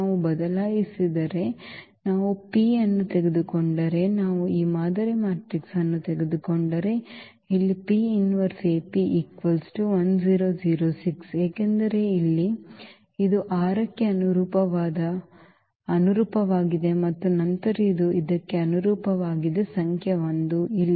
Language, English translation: Kannada, If we change, if we take this P, if we take this model matrix then here P inverse AP when we compute, this will be 6 0 and 0 1, because here this was corresponding to this 6 and then this is corresponding to this number 1 here